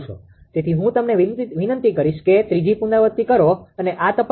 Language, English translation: Gujarati, So, I will request you to make third iteration and check this